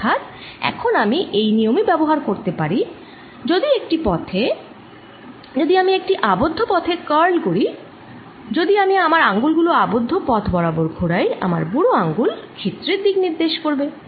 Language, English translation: Bengali, so now i am going to use this convention that if i on a path, if i curl on a closed path, if i curl my fingers around the path, the thumb gives me the direction of the area